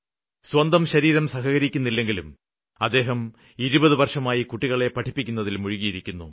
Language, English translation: Malayalam, The body does not support him but for the past 20 years he has devoted himself to child education